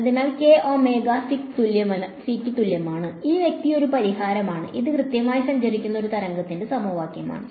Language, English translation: Malayalam, So, if k is equal to omega c, then this guy is a solution right and this is exactly the equation of a wave that is traveling